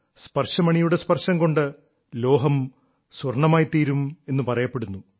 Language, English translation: Malayalam, It is said that with the touch of a PARAS, iron gets turned into gold